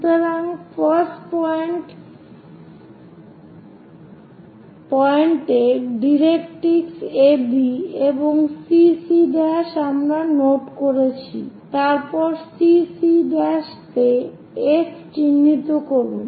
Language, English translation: Bengali, So, the 1st point draw directrix AB and CC prime we have noted down, then mark F on CC prime